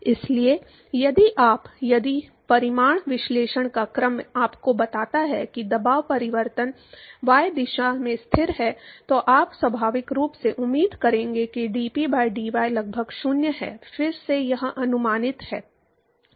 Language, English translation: Hindi, So, if you, if the order of magnitude analysis tells you that the pressure change is constant in y direction, then you would naturally expect that dP by dy is approximately 0, again it is approximate